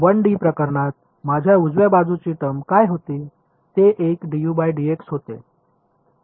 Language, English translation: Marathi, In the 1D case what was my right hand side term like; it was a d u by d x